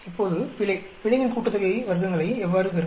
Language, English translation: Tamil, Now, error; how do you get the error sum of squares error